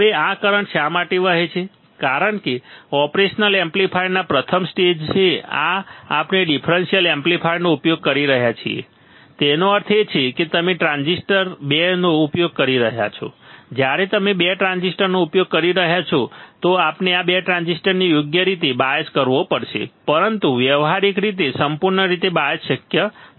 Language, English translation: Gujarati, Now, why this current flows is because at the first stage of the operation amplifier we are using differential amplifier whereas, the differential amplifier; that means, you are using 2 transistors when you are using 2 transistors, then we have to bias these 2 transistor correctly, but practically it is not possible to bias perfectly